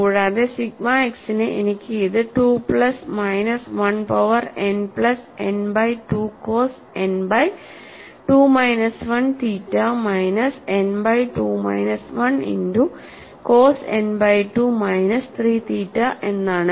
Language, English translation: Malayalam, And for sigma y it is 2 plus minus 1 power n minus 1 by 2 n by 2 multiplied by sin n by 2 minus 1 theta plus n by 2 minus 1 sin n by 2 minus 3 theta minus of minus 1 power n minus n by 2 cos n by 2 minus 1 theta minus n by 2 minus 1 multiplied by cos n by 2 minus 3 multiplied by theta